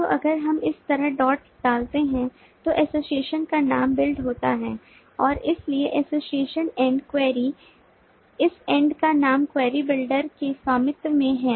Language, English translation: Hindi, so if we dot like this, the name of the association is builds and so the association end, query the name of this end is query is owned by the query builder